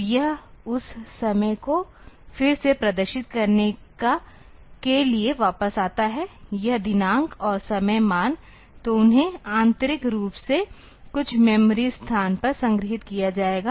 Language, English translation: Hindi, So, it comes back to display that time again; this date and time value; so they will be stored internally at some memory location